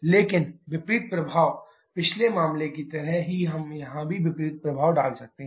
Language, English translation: Hindi, But the opposite effect, similar to the previous case we can have the opposite effect here as well